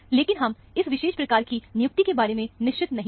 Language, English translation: Hindi, But, we are not sure about this particular assignment